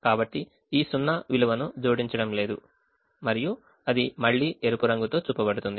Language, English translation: Telugu, so this zero is not going to add value and that is again shown with the red one coming